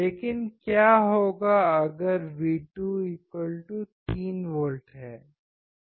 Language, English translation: Hindi, But what if I have V2=3V